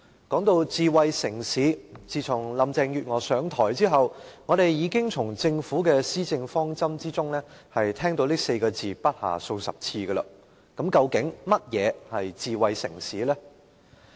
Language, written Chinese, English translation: Cantonese, 說到智慧城市，自從林鄭月娥上場後，我們已經從政府的施政方針聽到這詞語不下數十次，究竟甚麼是智慧城市呢？, Talking about smart city since Carrie LAMs assumption of office we have already heard this term dozens of times in the Governments policy objective . Actually what is a smart city?